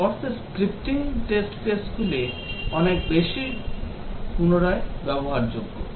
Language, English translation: Bengali, In the sense that the scripting test cases are much more reusable